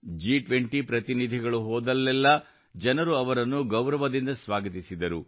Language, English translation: Kannada, Wherever the G20 Delegates went, people warmly welcomed them